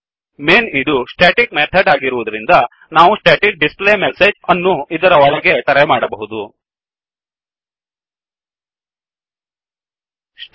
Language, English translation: Kannada, Since Main is a static method, we can call the static displayMessage inside this Now for static method we do not need to create an object